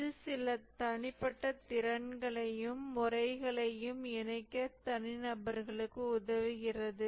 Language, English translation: Tamil, It helps individuals to incorporate certain personal skills and methods